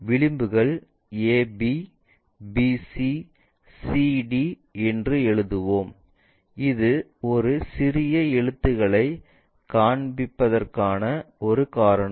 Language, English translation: Tamil, The edges are ab, bc, cd we will write it, that is a reason we are showing these lower case letters